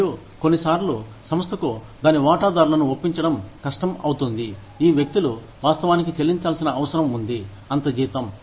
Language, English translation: Telugu, And, it becomes, sometimes, it becomes hard for the organization, to convince its stakeholders, that these people actually need to be paid, that much salary